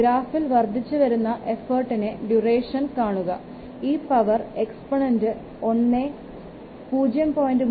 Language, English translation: Malayalam, The graph for the duration for the increasing effort when this power the exponent is less than 1